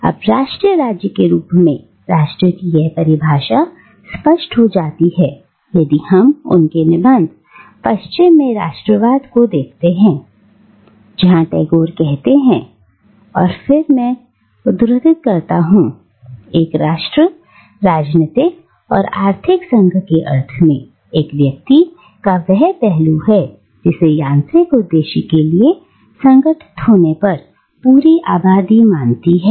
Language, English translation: Hindi, Now, this definition of nation as nation state becomes clearer if we look at his other essay, "Nationalism in the West," where Tagore states, and again I quote, “A nation, in the sense of the political and economic union of a people, is that aspect which a whole population assumes, when organised for a mechanical purpose